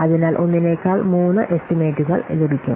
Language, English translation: Malayalam, So, three estimates are obtained rather than one